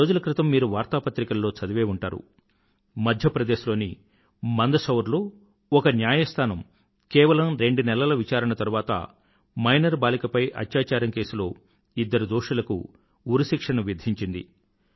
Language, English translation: Telugu, Recently, you might have read in newspapers, that a court in Mandsaur in Madhya Pradesh, after a brief hearing of two months, pronounced the death sentence on two criminals found guilty of raping a minor girl